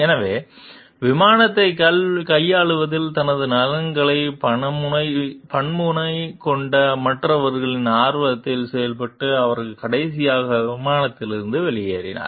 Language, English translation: Tamil, Therefore, acting in the interest of others square sided his interests in handling the crash, he exited the plane last, however